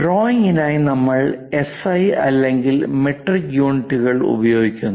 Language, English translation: Malayalam, For drawings, SI or metric units precisely speaking millimeters we represent